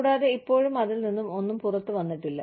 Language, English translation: Malayalam, And, still nothing has come out of it